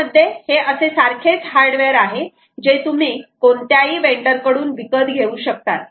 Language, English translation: Marathi, it is a same hardware that you can buy from any vendor